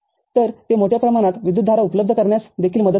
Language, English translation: Marathi, So, it also helps in providing larger amount of current